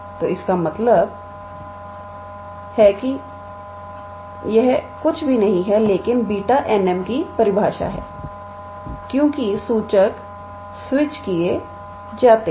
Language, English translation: Hindi, So, that means, this is nothing, but the definition of beta n, m because the indices are switched